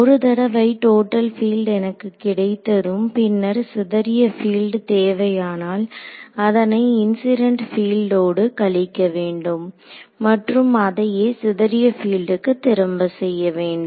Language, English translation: Tamil, So, once I can get the total field if I want the scattered field I have to subtract of the incident field and vice versa for the scattered field vice right